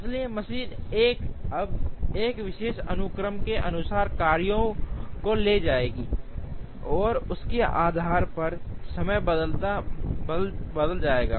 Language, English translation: Hindi, So, machine 1 would now take the jobs according to a particular sequence, and depending on that the time taken will change